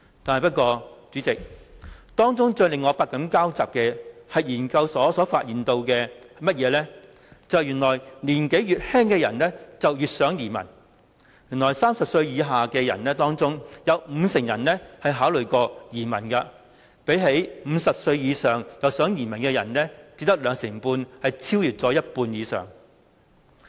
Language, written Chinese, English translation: Cantonese, 但是，代理主席，當中最令我百感交集的是，研究所發現越年輕的人越想移民 ，30 歲以下的人當中，有五成人曾考慮移民，相比只有兩成半50歲以上的人想移民，多了一倍。, However Deputy President what struck me the most was that according to the study younger people had a higher aspiration to emigrate as some 50 % of those aged 30 or below once considered emigration while only 25 % of those aged above 50 wanted to emigrate the former being twice as many as the latter